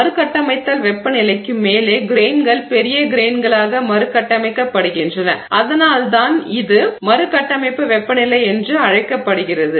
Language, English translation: Tamil, At above the recrystallization temperature the grains sort of recrystallize into bigger grains and that is why it is called the recrystallization temperature